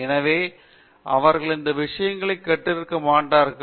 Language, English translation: Tamil, So, they might not have learnt these things